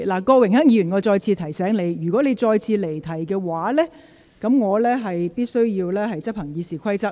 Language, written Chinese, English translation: Cantonese, 郭榮鏗議員，我再次提醒你，如果你再次離題的話，我必須執行《議事規則》。, Mr Dennis KWOK I remind you once again . If you stray from the subject again I must enforce the Rules of Procedure